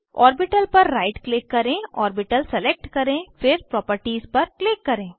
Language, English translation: Hindi, Right click on the orbital, select Orbital then click on Properties